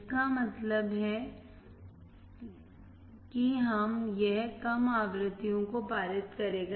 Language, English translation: Hindi, It means it will pass the low frequencies